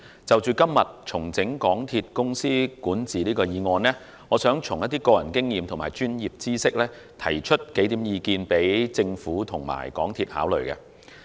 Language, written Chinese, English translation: Cantonese, 就着今天"重整港鐵公司管治"議案，我想根據個人經驗和專業知識，提出數項意見供政府和港鐵公司考慮。, With regard to the motion on Restructuring the governance of MTR Corporation Limited today I would like to draw on my own personal experience as well as professional know - how to provide a few comments for consideration by the Government and MTRCL